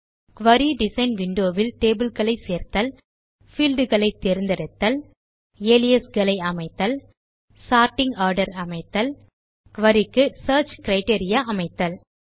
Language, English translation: Tamil, Add tables to the Query Design window Select fields Set up aliases, Set up sorting order And provide search criteria for a query